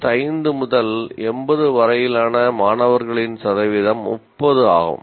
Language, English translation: Tamil, Percentage of students getting between 65 and 80 is 30